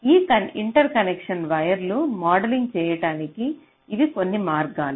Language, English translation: Telugu, so these are some ways of modeling this interconnection wire